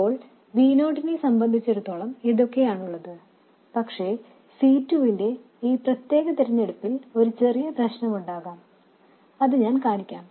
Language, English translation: Malayalam, Now this is perfectly all right as far as V0 is concerned but there could be a slight problem with this particular choice of C2 that I will show